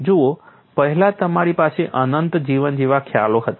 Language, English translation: Gujarati, See, earlier you had concepts like infinite life